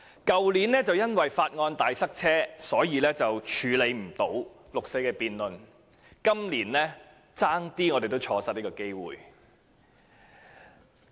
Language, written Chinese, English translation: Cantonese, 去年由於法案大塞車，所以關於六四的辯論無法進行，我們今年險些也錯失這個機會。, Due to a huge backlog of bills this Council was unable to conduct a debate on the 4 June incident last year . We nearly missed this chance again this year